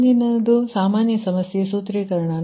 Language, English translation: Kannada, next is that general problem formulation